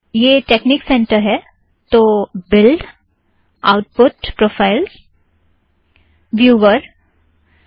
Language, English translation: Hindi, This is texnic center, so build, define output profile, go to viewer